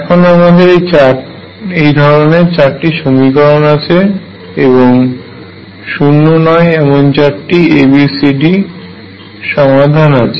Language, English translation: Bengali, And I have 4 equations like this for a non zero solution of A B C and D what should happen